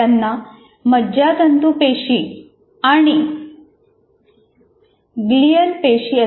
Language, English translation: Marathi, They are called nerve cells and glial cells